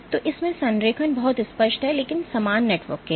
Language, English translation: Hindi, So, alignment is very clear in this, but for the same network